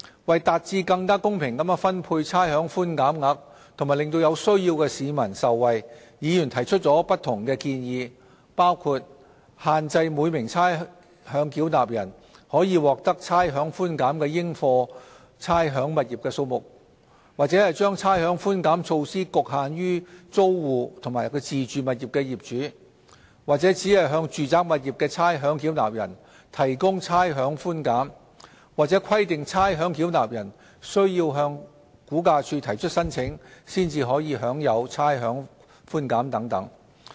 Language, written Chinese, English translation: Cantonese, 為達致更公平地分配差餉寬減額和令有需要的市民受惠，議員提出了不同的建議，包括限制每名差餉繳納人可獲得差餉寬減的應課差餉物業數目、將差餉寬減措施局限於租戶及自住物業的業主、只向住宅物業的差餉繳納人提供差餉寬減，或規定差餉繳納人須向估價署提出申請，才可享有差餉寬減等。, In order to achieve a more equitable distribution of rates concession and benefit needy people Members have raised various proposals including limiting the number of rateable properties per ratepayer eligible for rates concession confining the rates concession measure to tenants and owners of self - occupied properties providing rates concession to ratepayers of residential properties only or requiring the ratepayers to apply to RVD for claiming rates concession